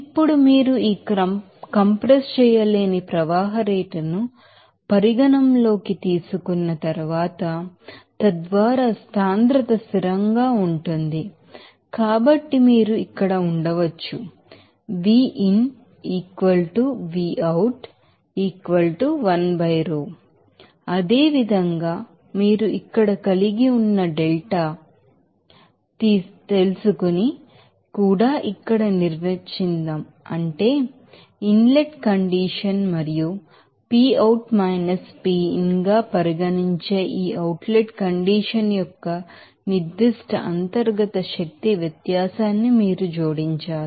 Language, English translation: Telugu, Now, after you know considering that incompressible flow rate, so, that the density is constant, so, you can right here Similarly, also let us define here that delta you had that will be able to here U you know out hat you add in that means specific internal energy difference of this outlet condition from which inlet condition and deltaP will be regarded as Pout – Pin there